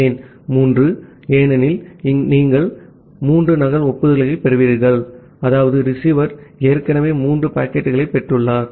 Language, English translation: Tamil, Why 3, because you have received three duplicate acknowledgement that means, the receiver has already received three more packets